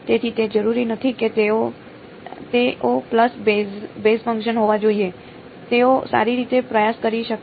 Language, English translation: Gujarati, So, it is not necessary that they have to be pulse basis function they could have been trying well anything else ok